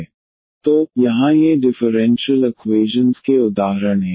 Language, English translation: Hindi, So, here these are the examples of the differential equations